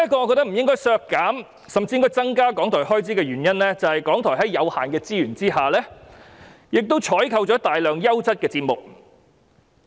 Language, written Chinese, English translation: Cantonese, 我認為不應削減而應增加港台開支預算的另一個原因，是港台即使資源有限，亦採購了大量優質的節目。, Another reason why I think that RTHKs estimated expenditure should be increased rather than cut is that despite limited resources RTHK has been able to procure many quality programmes